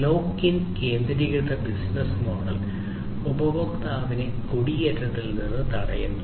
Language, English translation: Malayalam, Lock in centric business model prevents the customer from migration